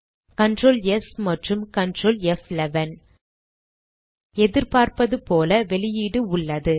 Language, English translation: Tamil, Press Ctrl S and Ctrl F11 keys As we can see, the output is as expected